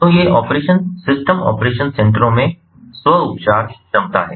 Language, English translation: Hindi, so these operation systems, operation centers, they have the self healing capability